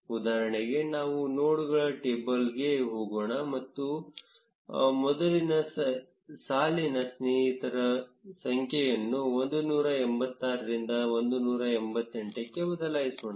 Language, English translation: Kannada, For instance, let us go to the nodes table, and change the number of friends of the first row from 186 to 188